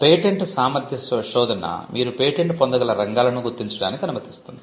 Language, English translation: Telugu, A patentability search allows you to identify the white spaces where you can patent